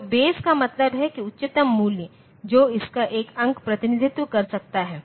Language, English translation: Hindi, So, base means what is the highest value that a single digit of it can represent